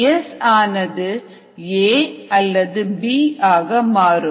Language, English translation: Tamil, then s could get converted to a or b